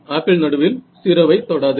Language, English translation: Tamil, Apple does not go to 0 at the centre